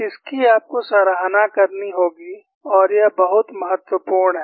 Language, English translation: Hindi, This you have to appreciate and this is very important